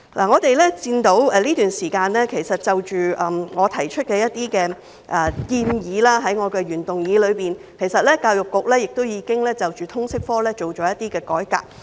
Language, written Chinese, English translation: Cantonese, 我們看到，在這段時間，就着我在原議案中提出的一些建議，其實教育局已對通識科進行一些改革。, We see that meanwhile the Education Bureau EDB has actually introduced some reforms to the LS subject in the light of some of the proposals I made in my original motion